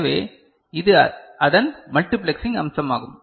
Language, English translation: Tamil, So, this is the multiplexing aspect of it